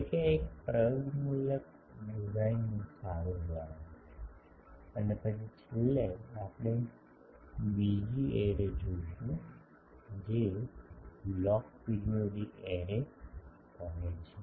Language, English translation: Gujarati, So, this is a good example of an empirical design, and then finally, we will see another array that is called log periodic array